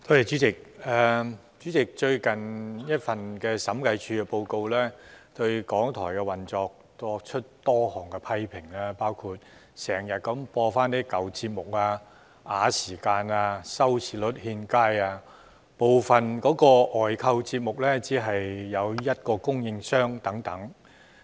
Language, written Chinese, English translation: Cantonese, 主席，最近的審計署署長報告對港台的運作作出多項批評，包括經常重播舊節目、拖延時間、收視率欠佳，以及部分外購節目只有一個供應商等。, President the recent Audit Report made a number of criticisms on the operation of RTHK including frequent reruns of old programmes stalling for time unsatisfactory viewing rates and only one supplier for some outsourced programmes